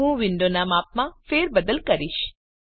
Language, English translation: Gujarati, I will resize the window